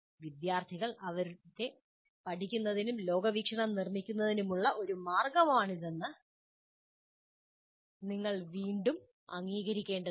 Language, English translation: Malayalam, So this, again, you have to acknowledge this is a way the students learn and construct their worldview